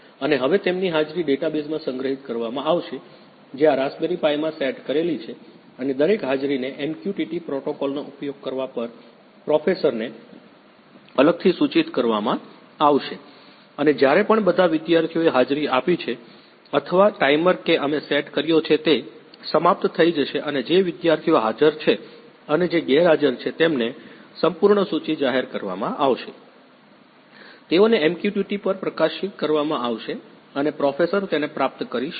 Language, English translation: Gujarati, And now their attendance will be stored in database that is set up in this Raspberry Pi and each attendance will separately be notified to professor on using MQTT protocol and also whenever the all the students have marked attendance or the timer that we have set is expired the complete list of students those who are present and those who are absent will be notified, will be published to the; published over MQTT and professor can receive it